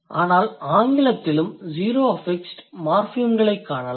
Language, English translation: Tamil, But you can also find out zero affixed morphemes in English too